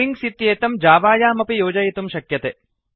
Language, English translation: Sanskrit, Strings can also be added in Java